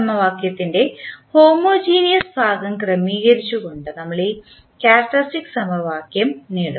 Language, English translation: Malayalam, We obtain this characteristic equation by setting the homogeneous part of the equation